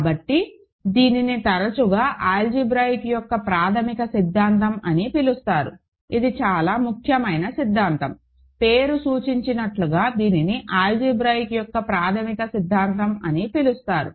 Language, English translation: Telugu, So, this is often called the fundamental theorem of algebra, this is a very important theorem as the name suggests it is called the fundamental theorem of algebra